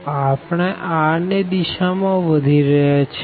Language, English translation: Gujarati, So, we are moving in the direction of r